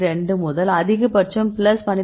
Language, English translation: Tamil, 2 to the maximum value of plus 12